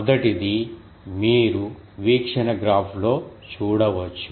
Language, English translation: Telugu, The first one you can see in the view graph